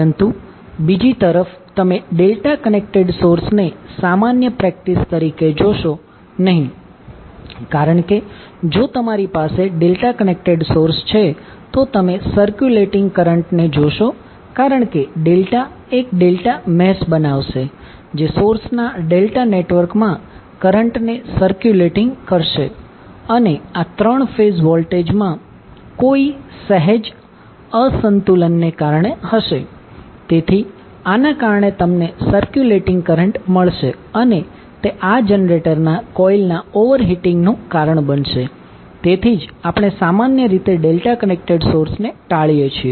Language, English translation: Gujarati, But on the other hand you will not see delta connected source as a common practice because if you have the delta connected source you will see the circulating current because delta will create a delta mesh which will cause a current to circulate within the delta network of the source and this will be because of any slight unbalance in the voltages of the three phases, so because of this you will have circulating current and this will cause the overheating of the coils of the generator, so that is why we generally avoid the delta connected source